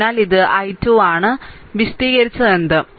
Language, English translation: Malayalam, So, this is your i 2 and this is your i 3, whatever we have explain